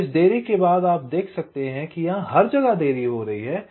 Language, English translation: Hindi, so after this delay you can see that this t w, everything as getting delayed